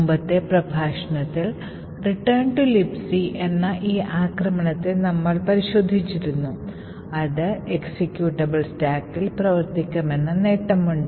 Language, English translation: Malayalam, In the previous lecture we had looked at this attack call return to libc which had the advantage that it could work with a non executable stack